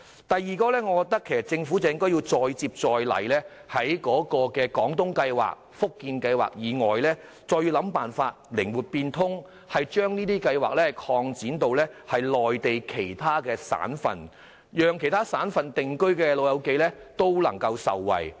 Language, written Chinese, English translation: Cantonese, 第二，政府應再接再厲，在"廣東計劃"和"福建計劃"以外，訂定靈活變通的辦法，把有關計劃擴展至內地其他省份，以便在其他省份定居的長者也能受惠。, Secondly the Government should make persistent efforts to introduce flexible arrangements other than the Guangdong Scheme and the Fujian Scheme so that such schemes would be extended to other provinces on the Mainland thus benefiting also elderly persons living in these provinces